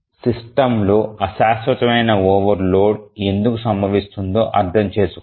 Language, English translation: Telugu, Let's understand why transient overloads occur in a system